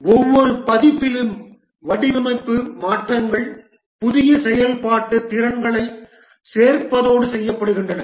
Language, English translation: Tamil, At each version design, modifications are made along with adding new functional capabilities